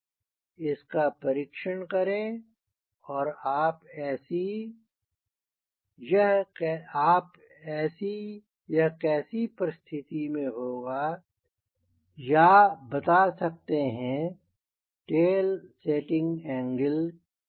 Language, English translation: Hindi, try this and you can formulate what will be the conditions or what we will be the tail setting angle